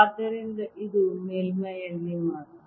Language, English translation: Kannada, so this is only on the surface